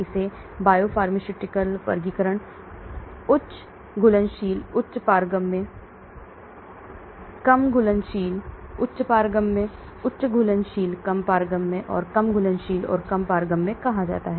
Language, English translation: Hindi, It is called biopharmaceutical classifications, high soluble high permeable, low soluble high permeable, high soluble low permeable, and low soluble and low permeable